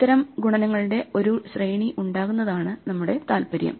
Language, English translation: Malayalam, Our interest is when we have a sequence of such multiplications to do